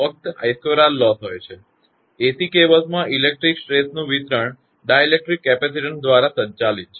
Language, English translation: Gujarati, Only I square R losses are present, the electric stress distribution in AC cables is governed by dielectric capacitance